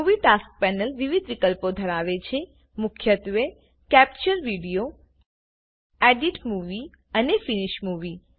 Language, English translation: Gujarati, The Movie Tasks panel has several options – the main ones being Capture Video, Edit Movie and Finish Movie